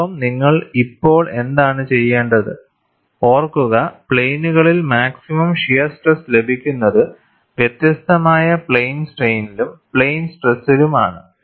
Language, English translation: Malayalam, And what you will have to now remember is the plane where the maximum shear stress occurs, is different in plane strain, as well as plane stress